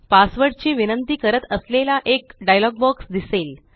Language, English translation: Marathi, A dialog box, that requests for the password, appears